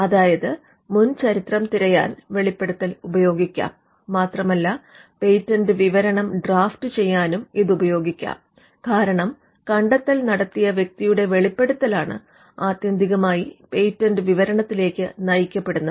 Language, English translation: Malayalam, So, the disclosure can be used to search for the prior art, and it can also be used to draft the patent specification itself, because it is the disclosure that the inventor makes, that eventually gets into the patent specification